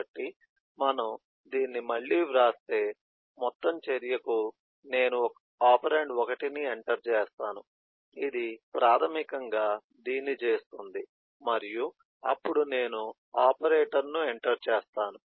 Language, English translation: Telugu, so the overall action needs that I will enter the operand 1, which is basically with this, and then I will enter the operator